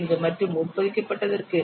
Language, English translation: Tamil, 35 and for embedded it is 0